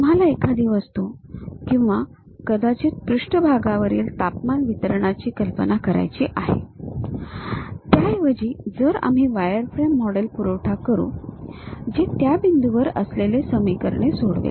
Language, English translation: Marathi, You would like to visualize an object or perhaps the temperature distribution on the surface; instead though we supply wireframe model which solves the equations at those points